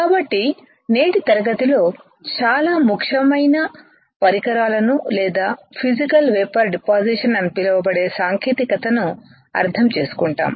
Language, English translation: Telugu, So, today's class is on understanding a very important equipment or a technique which is called Physical Vapour Deposition